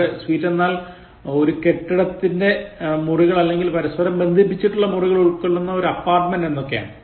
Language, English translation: Malayalam, Now, here sweet means rooms in a building or an apartment consisting of a series of connected rooms used as a living unit